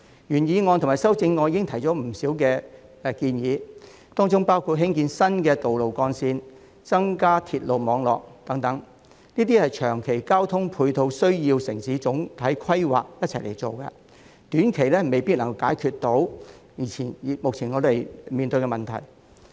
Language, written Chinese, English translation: Cantonese, 原議案及修正案已提出不少建議，當中包括興建新道路幹線、加建鐵路網絡等，這些長期交通配套的落實需要與城市總體規劃同時進行，短期未必能夠解決我們目前面對的交通問題。, The original motion and the amendment have put forward many suggestions including the construction of new roads and the addition of railway networks . The implementation of these long - term transport facilities needs to be carried out at the same time as the overall planning of the city . The traffic problems we are currently facing may not be solved in the short term